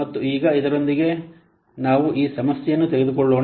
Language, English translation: Kannada, And now with this, now let us take up this problem